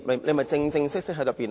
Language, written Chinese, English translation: Cantonese, 何謂正式辯論呢？, What is meant by a formal debate?